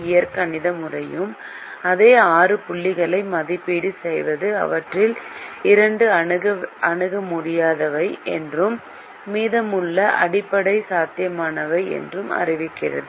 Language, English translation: Tamil, the algebraic method also evaluates the same six points and declares two of them that are infeasible and the rest of them are basic feasible